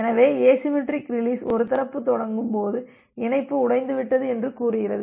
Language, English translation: Tamil, So, the asymmetric release says that when one party hangs up the connection is broken